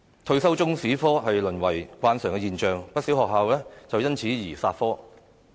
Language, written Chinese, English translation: Cantonese, 退修中史科淪為慣常現象，不少學校亦因此而"殺科"。, It has become a normal phenomenon for students to drop Chinese History and hence many schools no longer offer this subject